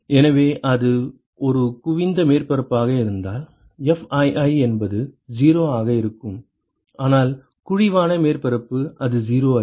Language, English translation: Tamil, So, if it is a convex surface, then Fii will be 0, but is the concave surface it is not 0